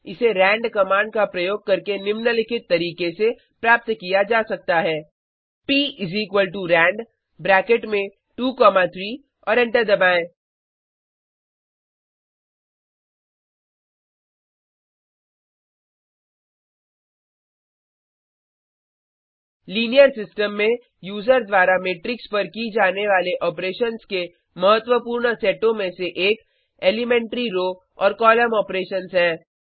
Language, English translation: Hindi, It can be generated using the rand command as follows: p=rand into bracket 2, 3 and press enter In linear systems, one of the important sets of operations a user carries out on matrices are the elementary row and column operations